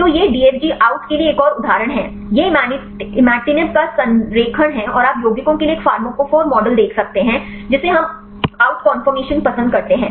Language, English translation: Hindi, So, these are another example for the DFG out, this is the alignment of imatinib and you can see the a pharmacophore model for the compounds, which we prefer the out conformation